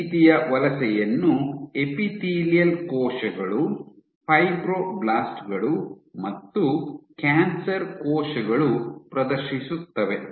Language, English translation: Kannada, So, this kind of migration is exhibited by epithelial cells, fibroblasts, cancer cells